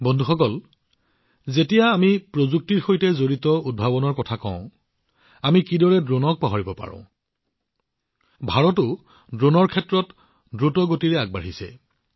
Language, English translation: Assamese, Friends, when we are talking about innovations related to technology, how can we forget drones